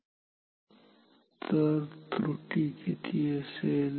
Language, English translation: Marathi, So, we can have some error